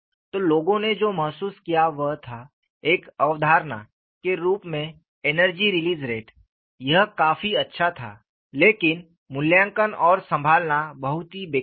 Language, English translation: Hindi, So, what people felt was, energy release rate, as a concept, which was quite good;, but it was very clumsy to evaluate and handle